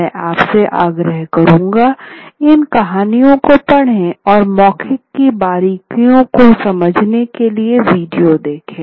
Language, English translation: Hindi, I would urge you to read these stories and watch the video several times to understand the nuances of an oral performance